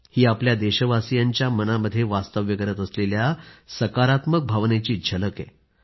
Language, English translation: Marathi, This is an exemplary glimpse of the feeling of positivity, innate to our countrymen